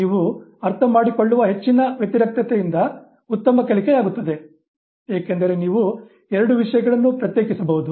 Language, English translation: Kannada, So, the higher is the contrast, the better is the learning, because you can distinguish two things